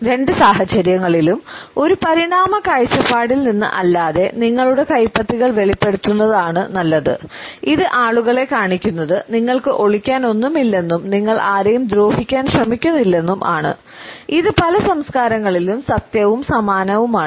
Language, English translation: Malayalam, In either case you are better off revealing your palms than not from an evolutionary perspective what this shows people is that you have nothing to hide you are not trying to do them harm this is a true across many many cultures